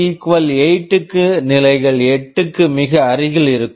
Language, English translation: Tamil, For k = 8, it levels to very close to 8; and so on